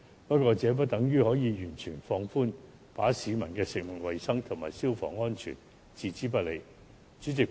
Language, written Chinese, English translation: Cantonese, 不過，這不等於可以完全放寬，把食物衞生及消防安全置之不理。, However that does not mean that the authorities can totally relax the requirements and ignore food hygiene and fire safety